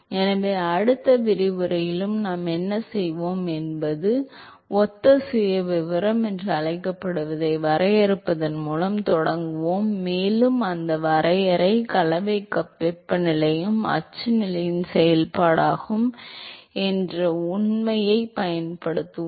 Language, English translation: Tamil, So, what we will do in the next lecturer is, we will start by defining what is called as a similar profile, and that definition, we will capitalize on the fact that the mixing cup temperature is also a function of the axial position